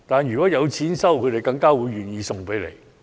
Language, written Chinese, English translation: Cantonese, 如果有錢收，他們更加會願意拿去回收。, They would be more willing to recycle if they get paid for it